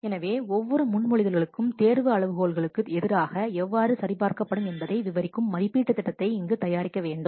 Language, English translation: Tamil, So, here it is needed to produce an evaluation plan describing how each proposal will be checked against the selection criteria